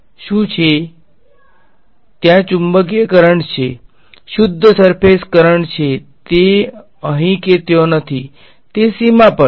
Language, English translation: Gujarati, Because, there is magnetic current is on the is a pure surface current it does not it is not either here nor there is exactly on the boundary right